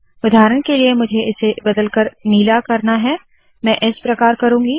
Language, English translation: Hindi, For example if I want to change this to blue, I will do the following